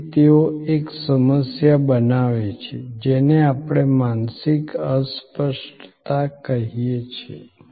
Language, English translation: Gujarati, So, therefore, they create a problem what we call mental impalpability